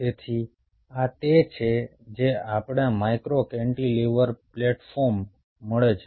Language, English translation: Gujarati, so this is what we get, ah, micro cantilever plat form